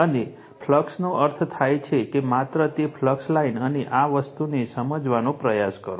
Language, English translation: Gujarati, And flux means just try to understand that your flux line and this thing right